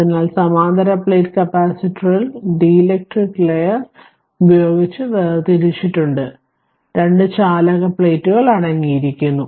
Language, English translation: Malayalam, So, parallel plate capacitor consists of two conducting plates separated by dielectric layer right